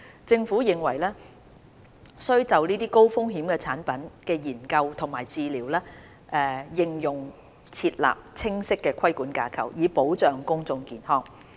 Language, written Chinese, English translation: Cantonese, 政府認為須就這些高風險產品的研究及治療應用設立清晰的規管架構，以保障公眾健康。, In view of the high risks the Government considers it necessary to introduce a clear and dedicated regulatory framework on the research and therapeutic use of ATPs in order to safeguard public health